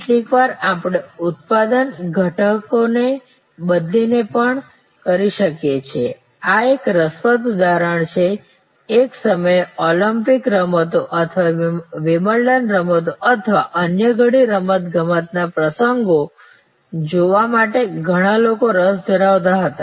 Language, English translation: Gujarati, Sometimes we can also do it by changing the product elements, this is a interesting example at one time there were many people interested to see the Olympics games or Wimbledon games or many other sports events